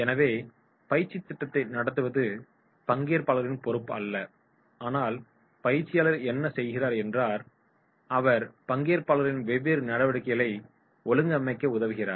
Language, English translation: Tamil, So it is not responsibility of the trainer only to conduct the training program, what the trainee does, they are participating and helping the trainers in organising the different activities